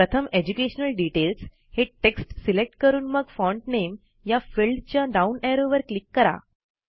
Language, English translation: Marathi, So first select the text, Education details, then click on the down arrow in the Font Name field